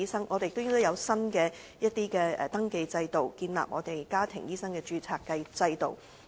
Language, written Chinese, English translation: Cantonese, 政府亦應制訂新的登記制度，建立香港家庭醫生註冊制度。, It should also introduce a new system for the registration of family doctors